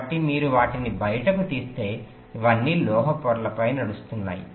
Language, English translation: Telugu, so if you take them out, these are all running on metal layers